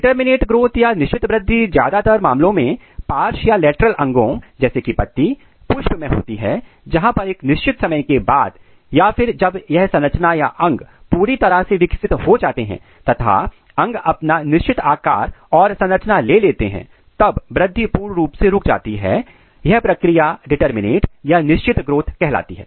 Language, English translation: Hindi, In case of determinate growth this mostly occurs in the lateral organs like leaf, flower where what happens that at a certain time point or when this structure or when the organ has developed certain kind of organs or taken a particular shape or achieved a particular size, then growth is totally stopped or it is terminated this process is called determinate growth